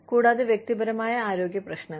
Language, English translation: Malayalam, And, personal health issues